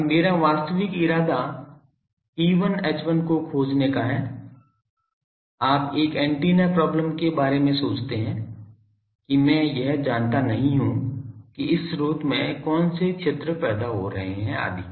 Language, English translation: Hindi, Now, my actual intension is to find E1 H1, you see think of an antenna problem; that I do not want to know what sources is producing this field etc